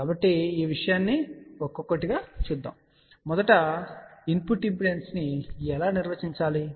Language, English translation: Telugu, So, let see one by one , all these things , so first of all how do we define input impedance